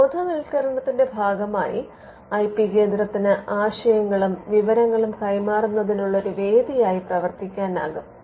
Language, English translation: Malayalam, The IP centre can also as a part of the awareness have act as a forum for exchanging ideas and information